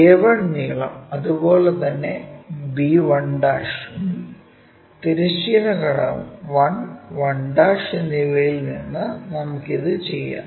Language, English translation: Malayalam, Then length a 1, if we are similarly let us do it from b 1' also horizontal component 1 and 1'